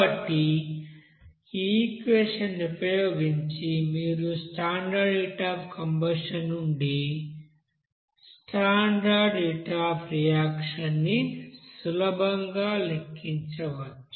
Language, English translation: Telugu, So from this you know equation you can easily calculate what should be the standard heat of reaction from standard heat of combustion there